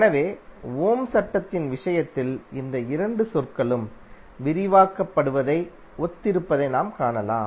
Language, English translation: Tamil, So you can see that both of the terms are similar to what we describe in case of Ohm's Law